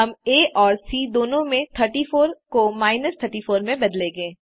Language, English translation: Hindi, We shall change 34 to minus 34 in both A and C